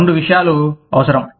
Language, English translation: Telugu, Two things, that are required